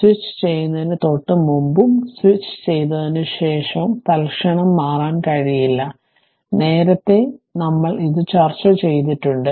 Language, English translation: Malayalam, Just before switching and just after switching, it cannot change instantaneously; earlier also we have discussed this